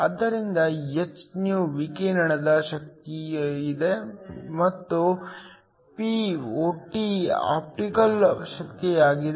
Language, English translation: Kannada, So, hυ is the energy of the radiation and Pot is the optical power